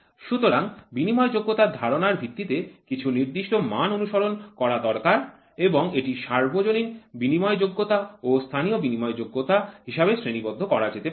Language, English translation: Bengali, So, this certain standard needs to be followed based on the interchangeability concept and that can be categorized as universal interchangeability and local interchangeability